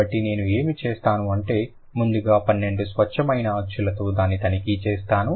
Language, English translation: Telugu, So, what I'll, I'll check it with the 12 pure vowels first